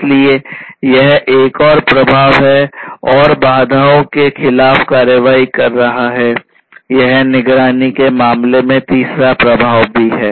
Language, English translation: Hindi, So, this is another effect and taking action against the odds; this is also the third effect in terms of monitoring